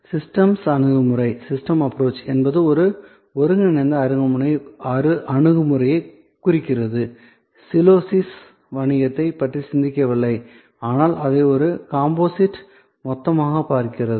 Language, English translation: Tamil, Systems approach means an integral approach, not thinking of the business in silos, but looking at it as a composite whole